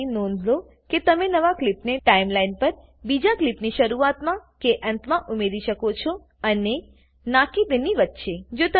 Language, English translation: Gujarati, Please note that you can add a new clip at the beginning or at the end of another clip on the Timeline and not in between